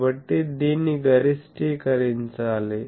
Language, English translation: Telugu, So, this needs to be maximised